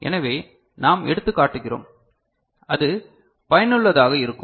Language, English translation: Tamil, So, we take example then it will be useful right